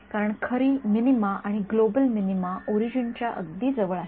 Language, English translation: Marathi, Because the true minima and the global minima are very close to the origin